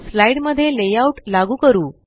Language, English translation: Marathi, Lets apply a layout to a slide